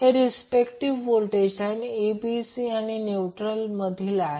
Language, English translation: Marathi, So, these are respectively the voltages between line ABC and the neutral